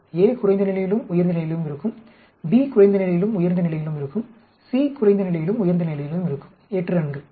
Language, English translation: Tamil, It is like a cube a will be at low level and high level, b will be at low level and high level, c will be at low level and high level 8 runs